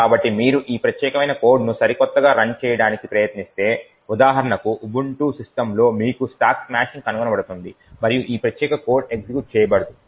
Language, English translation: Telugu, So, quite likely if you try to run this particular code on your latest for example Ubuntu systems you would get stack smashing getting detected and this particular code will not run